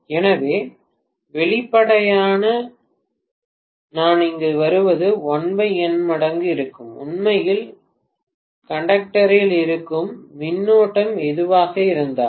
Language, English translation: Tamil, So obviously the current what I get here will be 1 by N times, whatever is the current that is actually there in the conductor, fine